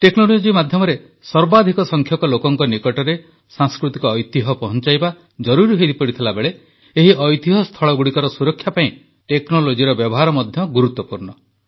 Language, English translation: Odia, On the one hand it is important to take cultural heritage to the maximum number of people through the medium of technology, the use of technology is also important for the conservation of this heritage